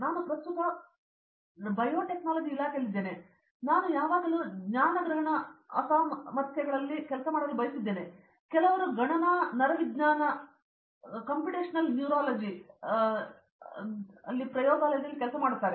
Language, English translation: Kannada, I am currently in the biotechnology department I always wanted to work on cognitive disabilities, some in the computation neuroscience lab